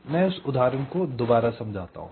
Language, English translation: Hindi, let me explain this example again